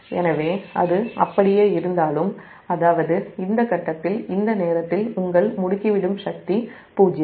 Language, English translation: Tamil, so if it is so, even though that means at this point, at this and your at this point, your accelerating power is zero